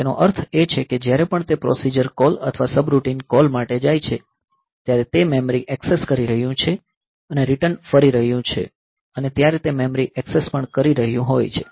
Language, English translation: Gujarati, That means, whenever it is going for a procedure call or subroutine call it is doing a memory access and returning also it is doing memory access